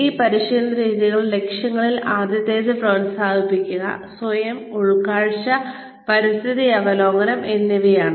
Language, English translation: Malayalam, The objectives of these training methods are, first is promoting, self insight and environmental awareness